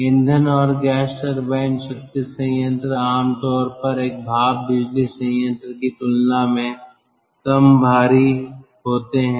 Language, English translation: Hindi, and gas turbine power plant are generally ah less bulkier compared to a steam power plant